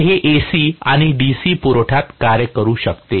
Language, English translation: Marathi, So, this can work in AC and DC supply